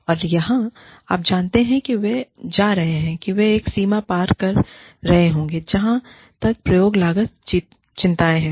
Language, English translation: Hindi, And, where, you know, they will be going, they will be crossing a limit, as far as, experimentation costs are concerns